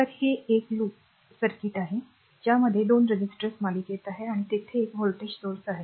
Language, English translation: Marathi, So, it is the single loop circuit with 2 resistors are in series, and one voltage source is there, right